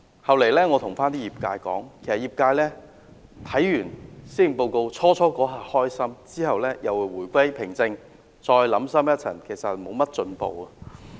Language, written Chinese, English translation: Cantonese, 後來我對業界說，其實業界看完施政報告，最初一刻感到高興，然後回歸平靜，再想深一層，其實沒有進步。, My euphoria was short - lived . Later when I talked to the Industry I said the Industry was at first rather excited after reading the Policy Address but soon they returned to calmness . On second thought there is actually no progress at all